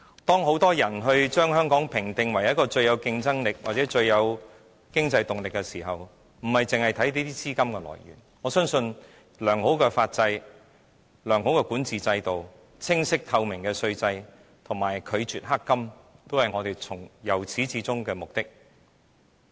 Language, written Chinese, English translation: Cantonese, 當很多人把香港評定為一個最具競爭力或最具經濟動力的地方時，我們不應只看着這些資金來源，我相信維護良好的法制、良好的管治制度、清晰透明的稅制和拒絕"黑金"，都是我們由始至終的目的。, While many consider Hong Kong the most competitive or most economically vibrant place we should not only look at these sources of capital . I believe that the maintenance of a good legal system good governance clear and transparent tax regime and the denial of black money have always been our goal